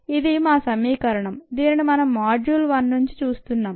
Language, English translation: Telugu, this is our equation that we have seen right from module one, ah